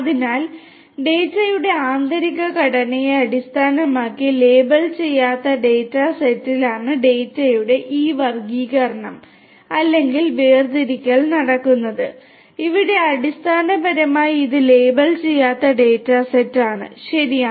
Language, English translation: Malayalam, So, this classification or segregation of the data is performed on unlabeled data set based on the inner structure of the data and here basically this is very important unlabeled data set, right